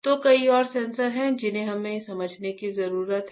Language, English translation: Hindi, So, there are many more sensors that we need to understand